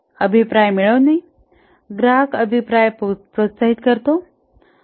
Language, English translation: Marathi, Feedback, get customer feedback, encourage customer feedback